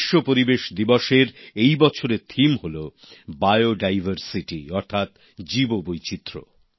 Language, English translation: Bengali, The theme for this year's 'World Environment Day' is Bio Diversity